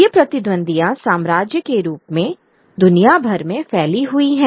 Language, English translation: Hindi, These rivalries that are sped all across the world in the form of empire